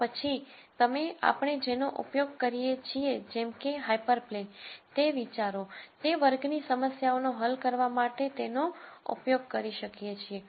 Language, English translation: Gujarati, Then you could use whatever we use in terms of hyper planes, those ideas, for solving those class of problems